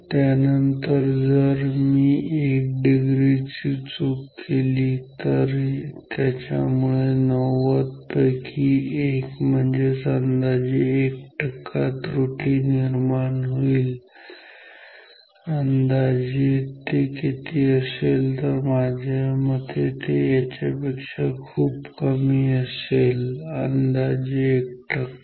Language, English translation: Marathi, Then, if I make 1 degree error this will lead to a percentage error of 1 over 90, approximately how much it will be I mean this approximately 1 percent much less than this and also so, this is 1 kilo ohm